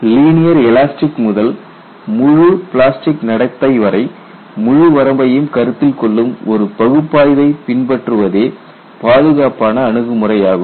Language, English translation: Tamil, The safest approach is to adopt an analysis that spans the entire range from linear elastic to fully plastic behavior